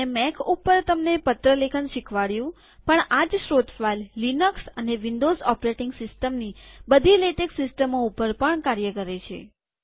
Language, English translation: Gujarati, Although I talked about the letter writing process in a Mac, the same source file will work in all Latex systems including those in Linux and Windows operation systems